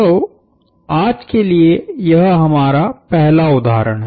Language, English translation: Hindi, So, here is our first one for today